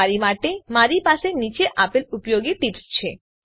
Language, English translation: Gujarati, I have the following usefull tips for you